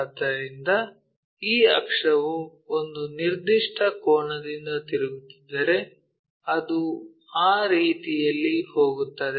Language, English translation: Kannada, So, this axis if we are rotating by a certain angle it goes in that way